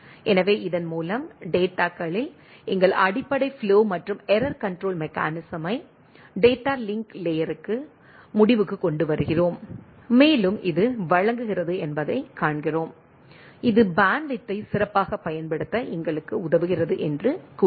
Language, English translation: Tamil, So, with this we look we conclude the our basic flow and error control mechanism in the data to data link layer and also we see that this provides, say this helps us in providing a better utilization of the bandwidth right